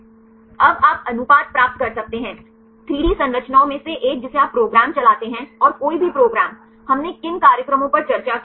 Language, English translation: Hindi, Now, you can get the ratio, one from the 3D structures you run the program and any of the programs; what are the programs we discussed